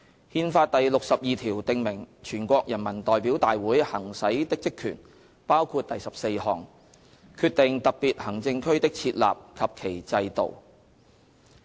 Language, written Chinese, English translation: Cantonese, 《憲法》第六十二條訂明全國人民代表大會行使的職權，包括第十四項："決定特別行政區的設立及其制度"。, Article 62 of the Constitution prescribes the functions and powers that may be exercised by NPC including as provided by sub - paragraph 14 to decide on the establishment of special administrative regions and the systems to be instituted there